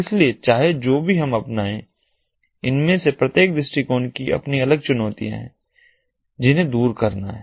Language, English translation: Hindi, so, irrespective of which one we adopt, each of these approaches has its own separate challenges that have to be overcome